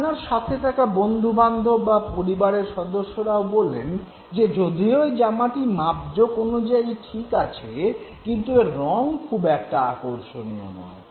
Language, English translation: Bengali, Those who are along with you, your friends or your family members, they tell you that now even though it's a fit, but then you know the color is not so attractive